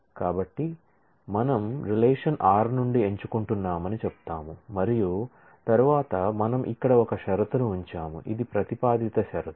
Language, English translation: Telugu, So, we say we are selecting from the relation r and then we put a condition here, which is a propositional condition